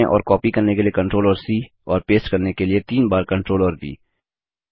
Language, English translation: Hindi, Select the tree and ctrl and C to copy Ctrl and V three times to paste